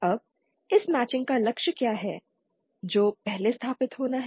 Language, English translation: Hindi, Now, what is the goal of this matching that is the first thing that has to be established